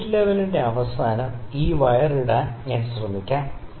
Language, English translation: Malayalam, Let me try to put this wire on the end of the spirit level